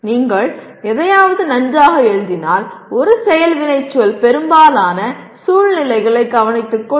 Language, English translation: Tamil, If you write something well, one action verb can take care of most of the situations